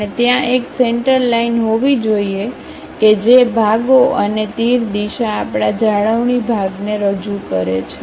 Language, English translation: Gujarati, And, there should be a center line dividing that halves and arrow direction represents our retaining portion